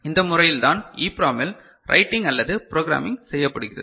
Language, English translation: Tamil, This is the way the EPROM you know, writing or programming takes place